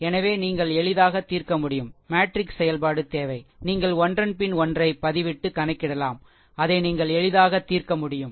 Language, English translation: Tamil, So, easily you can solve right, no even no matrix operation is required just you can substitute one after another and you can easily solve it